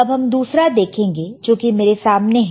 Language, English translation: Hindi, Now let us see the another one which is right in front of me